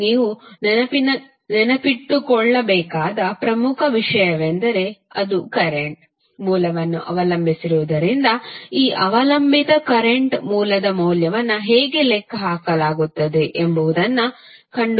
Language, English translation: Kannada, The important thing which you have to remember is that since it is dependent current source you have to find out how the value of this dependent current source would be calculated